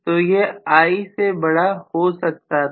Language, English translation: Hindi, So it would have become greater than I